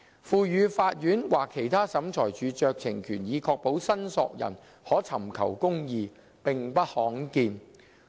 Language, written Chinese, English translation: Cantonese, 賦予法院或其他審裁處酌情權以確保申索人可尋求公義，並不罕見。, It was not uncommon for the courts or other tribunals to be conferred such a discretionary power to ensure that the claimants have access to justice